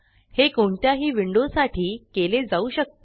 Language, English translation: Marathi, This can be done to any window